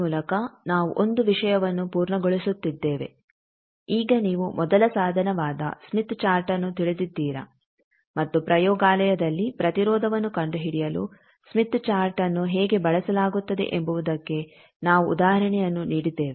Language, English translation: Kannada, By this we are completing one thing that you now know smith chart the first tool your known and we have given example that how smith chart is used for finding the impedance in laboratory